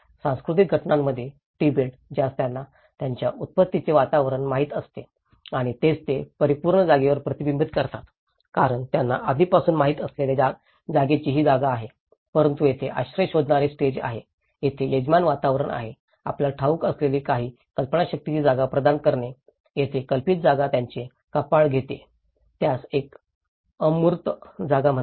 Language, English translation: Marathi, In a cultural component, the Tibet which they know the environment of their origin and that is what they reflect with the absolute space because that is what the perceived space what they already know but here, the asylum seekers stage that is where the host environment is providing certain conceived space you know, that is where conceived space is taking forehead of it that is called an abstract space